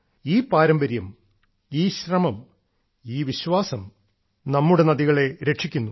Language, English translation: Malayalam, And it is this very tradition, this very endeavour, this very faith that has saved our rivers